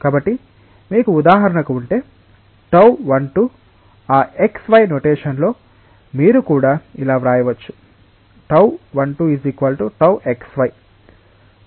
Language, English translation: Telugu, So, if you have for example, tau 1 2 then in that xy notation, you can also write it as tau xy